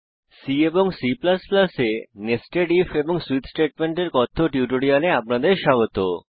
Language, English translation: Bengali, Welcome to the spoken tutorial on Nested if amp Switch statements in C and C++